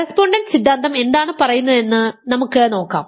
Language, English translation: Malayalam, Let us see what the correspondence theorem says, correspondence theorem says